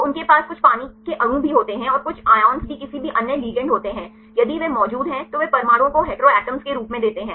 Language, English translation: Hindi, So, they also have some water molecules and some ions also any other ligands if they are present they give as atoms heteroatoms